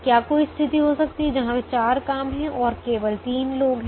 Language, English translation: Hindi, can there be a situation where there are four jobs and there are only three people